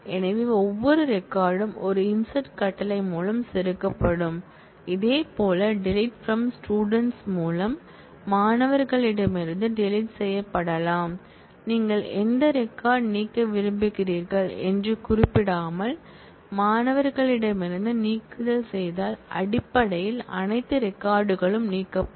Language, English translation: Tamil, And so, every record will get inserted through one insert command, similarly a deletion can be done by delete from students, if you do delete from students without specifying which record you want to delete, basically all records will get deleted